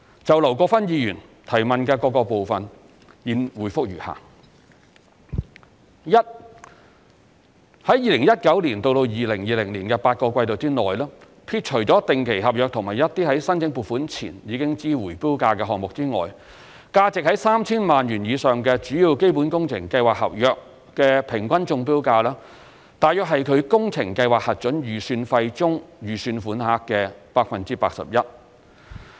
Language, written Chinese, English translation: Cantonese, 就劉國勳議員質詢的各個部分，現答覆如下：一在2019年至2020年的8個季度內，撇除定期合約和一些在申請撥款前已知回標價的項目外，價值在 3,000 萬元以上的主要基本工程計劃合約的平均中標價約為其工程計劃核准預算費中預算款項的 81%。, Our responses to the questions raised by Mr LAU Kwok - fan are as follows 1 Over the eight quarters from 2019 to 2020 the average accepted tender prices for major capital works contracts with value exceeding 30 million excluding term contracts and projects with tendered prices known before seeking funding approval are around 81 % of the sums allowed in the Approved Project Estimates for such contracts